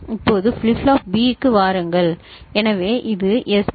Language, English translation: Tamil, Now come to flip flop B so this is SB ok